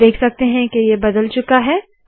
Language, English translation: Hindi, You can see that it has changed